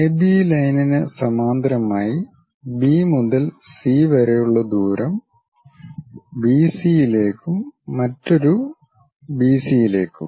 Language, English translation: Malayalam, Parallel to AB line with a distance of B to C whatever the distance BC there and another BC located